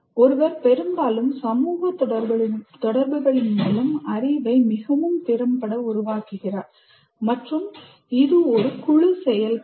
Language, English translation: Tamil, One constructs knowledge more effectively through social interactions and that is a group activity